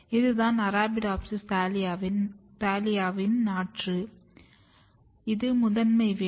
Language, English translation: Tamil, So, if you look this is Arabidopsis thaliana seedling, you can see here this is the primary root